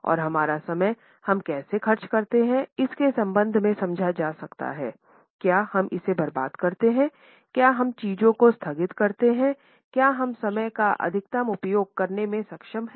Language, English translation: Hindi, And these can be understood in terms of how do we spend our time, do we waste it, do we keep on postponing things, are we able to utilize the time to its maximum